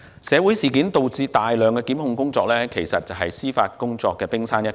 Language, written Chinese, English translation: Cantonese, 社會事件導致的大量檢控工作，只是司法工作量的冰山一角。, The large number of prosecution cases arising from social incident is only the tip of the iceberg of judicial workload